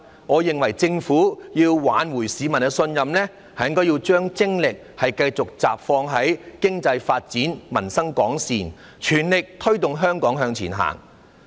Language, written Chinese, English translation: Cantonese, 我認為政府要挽回市民的信任，就要將精力集中於發展經濟，令民生改善，全力推動香港向前行。, I believe that if the Government wants to salvage public trust it has to focus its energy on developing the economy so as to improve peoples lot and strive to take Hong Kong forward